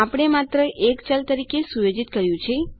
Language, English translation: Gujarati, Weve just set it as a variable